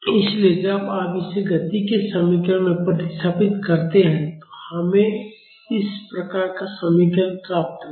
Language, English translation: Hindi, So, when you substitute this in the equation of motion, we will get an expression like this